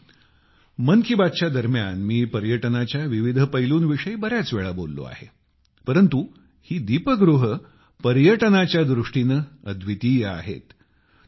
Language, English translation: Marathi, Friends, I have talked of different aspects of tourism several times during 'Man kiBaat', but these light houses are unique in terms of tourism